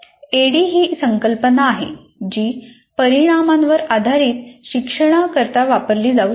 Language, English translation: Marathi, And ADI, this ADD concept can be applied for constructing outcome based learning